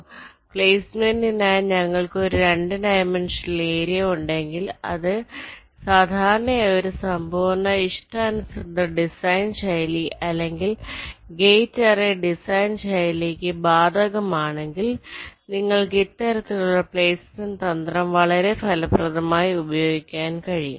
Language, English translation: Malayalam, ok, so if we have a two dimensional area for placement, which is typically the case for a full custom design style or a gate array design style, then you can use this kind of a placement strategy very effectively